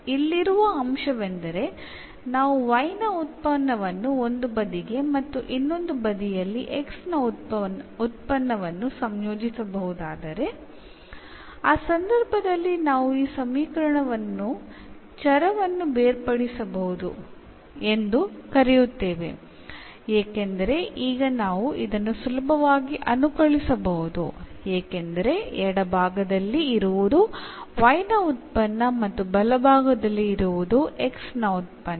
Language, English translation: Kannada, So, the point here is that everything the function of y if we can collate to one side and the other side the function of x, in that case we call that this equation is variable separable because now we can easily integrate this because the left hand side only the function of y and the right hand side everything of function x